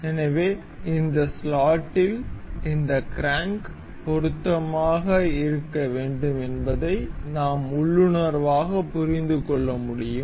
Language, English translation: Tamil, So, we can intuitively understand that this crank is supposed to be fit in this slot